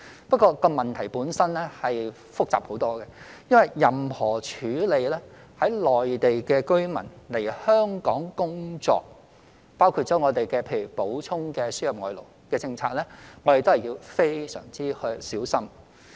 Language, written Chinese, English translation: Cantonese, 不過，這個問題本身很複雜，因為處理任何內地居民來香港工作，包括我們的輸入外勞政策，我們都要非常小心。, However this problem itself is a complicated one . In dealing with Mainland residents coming to work in Hong Kong including our policy on the importation of labour we have to be very careful